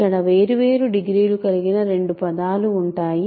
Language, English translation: Telugu, So, there will be two terms of different degrees